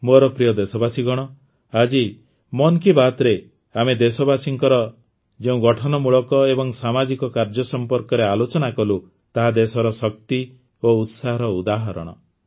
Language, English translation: Odia, My dear countrymen, the creative and social endeavours of the countrymen that we discussed in today's 'Mann Ki Baat' are examples of the country's energy and enthusiasm